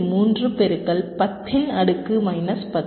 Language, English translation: Tamil, two point three into ten to the power minus ten